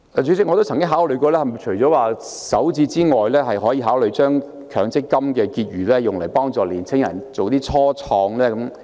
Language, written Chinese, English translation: Cantonese, 主席，除了首置外，是否還可以考慮將強積金的結餘用於幫助年青人創業？, President apart from starter home purchase can we consider using the MPF balance to help young people start their own business?